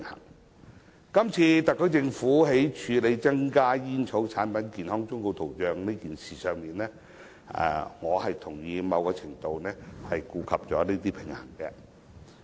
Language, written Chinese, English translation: Cantonese, 我認為，今次特區政府在處理增加煙草產品健康忠告圖像時，在某程度上已顧及有關平衡。, I believe the Government has to a certain extent taken into account this balance when increasing the number of graphic health warnings on this occasion